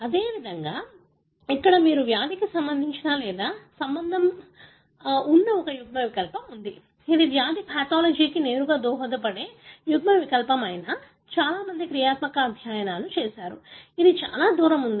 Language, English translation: Telugu, Likewise, here you have an allele that is linked or associated with the disease; whether this is the allele that contributes directly to the disease pathology one has do lot of functional studies; that is still a long way to go